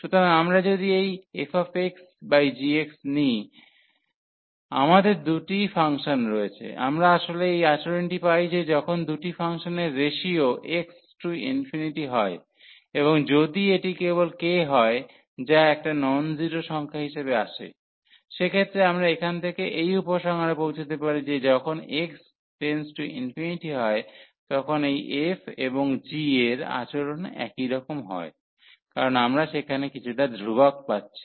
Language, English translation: Bengali, So, if we take this limit x approaches to infinity f x over g x fx over g x, we have two functions we are actually getting this behavior that when x approaches to infinity of this ratio of the two functions, and if it comes to be just k a non zero number; in that case we can conclude from here that the behaviour of this f and g is similar when x approaches to infinity, because we are getting some constant there